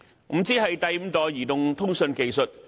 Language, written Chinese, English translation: Cantonese, 5G 是第五代移動通訊技術。, 5G means the fifth generation mobile communications technology